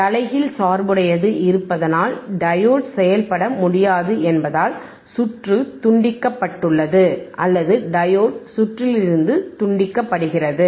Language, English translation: Tamil, So, as circuit is disconnected right beBecause diode cannot operate becauseas it is in the reverse bias, circuit is disconnected or diode is disconnected from the circuit